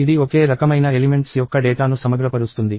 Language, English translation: Telugu, It aggregates data of the same type of elements